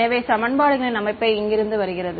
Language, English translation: Tamil, So, the system of equations comes from